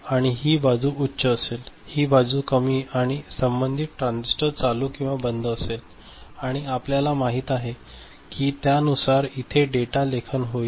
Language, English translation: Marathi, So, this side will be high and this side will be low corresponding transistors will be you know ON or OFF and you know the data writing will takes place accordingly